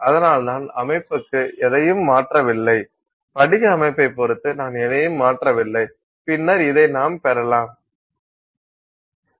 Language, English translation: Tamil, So, I am not changing anything to the composition, I am not changing anything with respect to the crystal structure and so on and you can get this